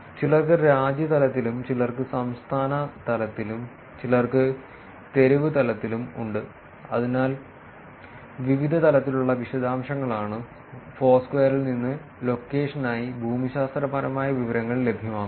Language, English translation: Malayalam, Some have at the country level, some have at the state level, some have at the street level, so that is the different level of details that the geographic information is available for the location from Foursquare